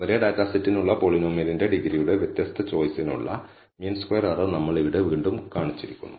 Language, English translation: Malayalam, Here again we have shown the mean squared error for different choice of the degree of the polynomial for the same data set